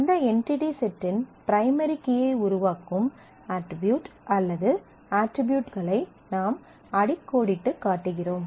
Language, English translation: Tamil, And we underline the attribute or attributes that form the primary key of that entity set